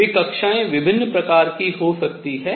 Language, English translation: Hindi, That orbits could be of different kinds